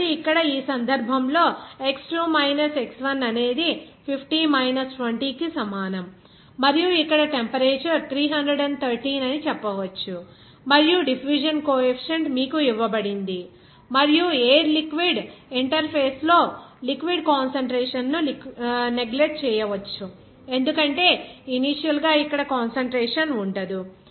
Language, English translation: Telugu, So, here in this case x2 minus x1 that will be is equal to your 50 minus 20 and also you can say that temperature is here 313 and diffusion coefficient is given to you and the concentration of the liquid in the air liquid interface can be neglected because initially there will be no concentration here